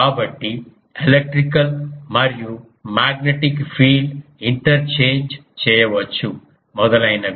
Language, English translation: Telugu, So, electrical magnetic field can be interchange etcetera